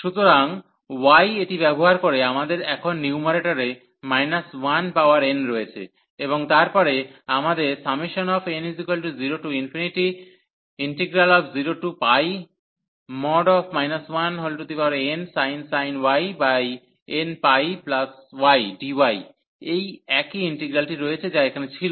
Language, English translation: Bengali, So, y using this we have now in the numerator minus 1 power n, and then we have this sin y over n pi y dy the same integral, which was here